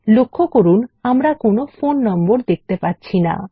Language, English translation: Bengali, Note that we dont see any phone numbers